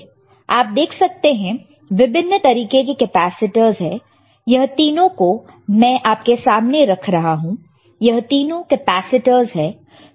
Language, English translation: Hindi, So, you see there are several kind of capacitors here, this three that I am keeping in front not consider this three all these are capacitors right